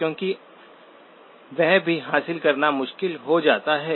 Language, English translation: Hindi, Because that also makes it difficult to achieve